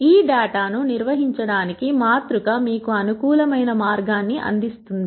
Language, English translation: Telugu, A matrix provides you a convenient way of organizing this data